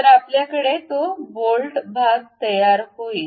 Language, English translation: Marathi, So, we have that bolt portion